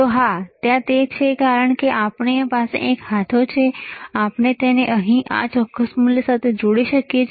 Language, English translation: Gujarati, So, yes, it is there, right because we have we have a knob that we can connect it to the this particular value here